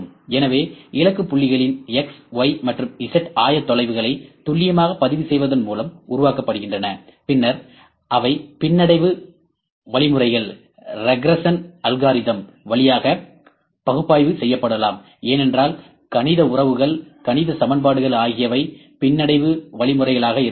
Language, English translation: Tamil, So, by precisely recording the X, Y and Z coordinates of the target points are generated, which can then be analyzed via regression algorithms because we might, we can have the mathematical relations, mathematical equations which are regression algorithms as well